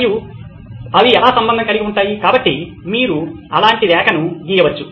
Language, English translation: Telugu, And how are they related, so you can draw a line like that